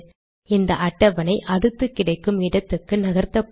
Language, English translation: Tamil, The table is floated to the next available slot